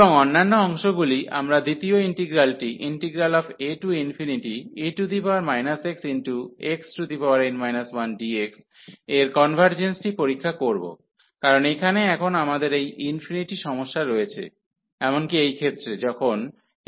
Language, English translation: Bengali, And the other parts, so we will check the convergence of the second integral, which is a to infinity e power minus x x power n minus 1, because here we have now this infinity problem even in this case, when n is greater than 1